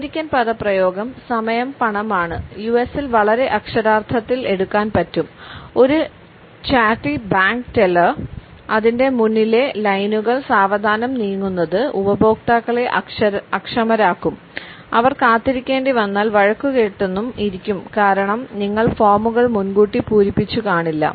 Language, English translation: Malayalam, The American expression time is money can be taken very literally in the US, a chatty bank teller whose lines moving slowly will cause customers to become impatient and you will also get an earful if the line has to wait because you have not filled out your forms ahead of time